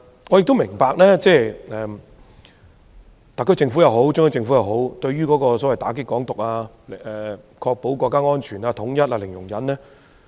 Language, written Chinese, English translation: Cantonese, 我也明白特區政府和中央政府對於"港獨"零容忍，以確保國家安全和統一。, I also understand that the SAR Government and the Central Government adopt a zero - tolerance policy on Hong Kong independence so as to ensure national security and unity